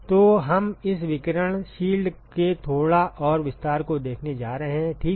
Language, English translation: Hindi, So, we are going to look at a little bit more extension of this ‘radiation shield’ ok